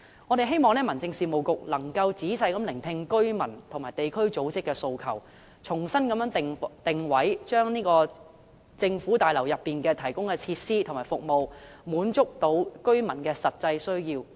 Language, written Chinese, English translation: Cantonese, 我們希望民政事務局能夠仔細聆聽居民和地區組織的訴求，重新定位，令市政大樓內提供的設施和服務能夠滿足居民的實際需要。, We hope the Home Affairs Bureau can listen to the aspirations of the residents and local organizations carefully and conduct repositioning so that the facilities and services provided in the municipal services complex can meet the residents actual needs